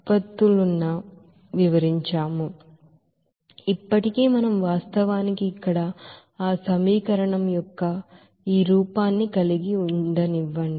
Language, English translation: Telugu, So still we are actually let us having this look of that equation here